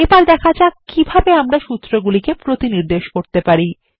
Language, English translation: Bengali, Let us now see how we can cross reference these formulae